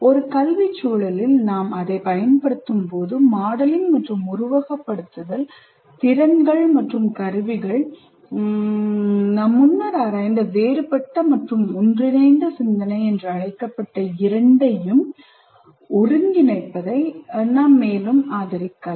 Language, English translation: Tamil, When we use it in educational context, modeling and simulation skills and tools can further support the integration of both what you call divergent and convergent thinking, which you have explored earlier